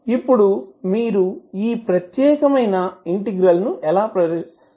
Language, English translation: Telugu, Now, how you will solve this particular type of integral